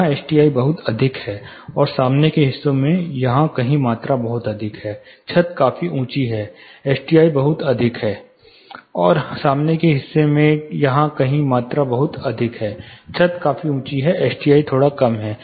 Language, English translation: Hindi, Here the S T I is pretty high and in the front portion somewhere here, the volume is pretty high, the ceilings you know is quite high; S T I is slightly lower